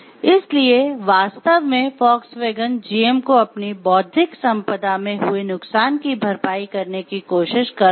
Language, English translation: Hindi, So, actually Volkswagen is trying to compensate for the loss that GM had in its intellectual property